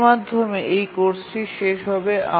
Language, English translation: Bengali, With this, we will conclude this course